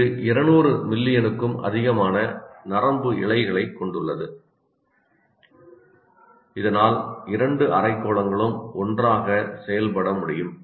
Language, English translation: Tamil, It consists of more than 200 million nerve fibers so that the two hemispheres can act together